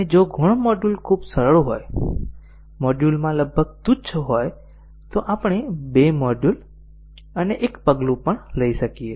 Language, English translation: Gujarati, And if the subordinate module is very simple, almost trivial in module then we might even take two modules and one step